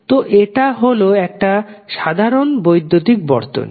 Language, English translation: Bengali, So, it is like a simple electrical circuit